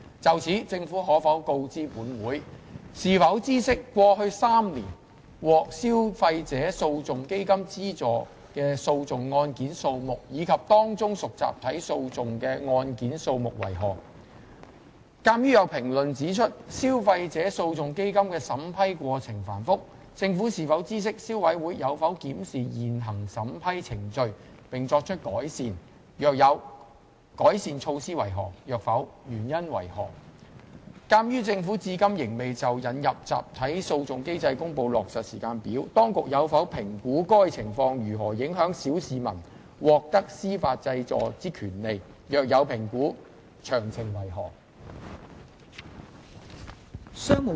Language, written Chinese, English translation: Cantonese, 就此，政府可否告知本會：一是否知悉，過去3年獲消費者訴訟基金資助的訴訟案件數目，以及當中屬集體訴訟的案件數目為何；二鑒於有評論指出，消費者訴訟基金的審批過程繁複，政府是否知悉消委會有否檢視現行審批程序，並作出改善；若有，改善措施為何；若否，原因為何；及三鑒於政府至今仍未就引入集體訴訟機制公布落實時間表，當局有否評估該情況如何影響小市民獲得司法濟助的權利；若有評估，詳情為何？, In this connection will the Government inform this Council 1 whether it knows the number of proceedings subsidized by the Fund in the past three years and among them the number of class action proceedings; 2 as there are comments that the vetting and approval procedure of the Fund is complicated whether the Government knows if the Consumer Council has reviewed the existing vetting and approval procedure and made improvements; if the Consumer Council has of the improvement measures; if not the reasons for that; and 3 given that the Government has not yet announced a timetable for the implementation of a class action mechanism whether the authorities have assessed how this affects the rights of the general public to obtain judicial relief; if so of the details?